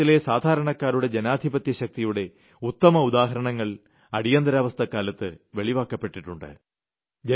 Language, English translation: Malayalam, A great example of the democratic strength of the common people was witnessed during Emergency